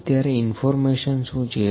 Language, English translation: Gujarati, Now, what is information